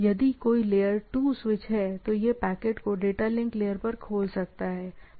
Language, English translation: Hindi, If there is layer 2 switch, it can open the packet up to the data link layer, right